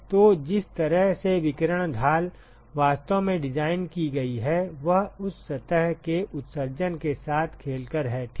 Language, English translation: Hindi, So, the way the radiation shield is actually designed is by playing with the emissivities of that surface ok